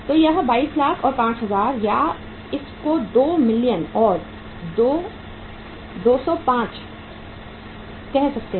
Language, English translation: Hindi, So this is the cost 22 lakhs and 5000 or in other way around you can say it is 2 millions and 205,000